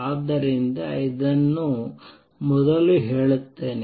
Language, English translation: Kannada, So, let me state this first